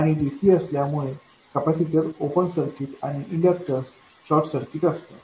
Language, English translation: Marathi, And also because it is DC, capacitors are open circuited and inductors are short circuited